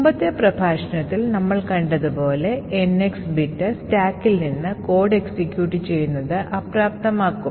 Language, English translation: Malayalam, As we have seen in the previous lecture the NX bit would disable executing from that stack